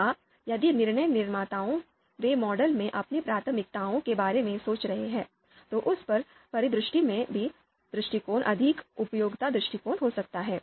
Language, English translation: Hindi, Or, if the DM, they are imprecise about their preferences in the model, then in that scenario also outranking approach could be the more suitable approach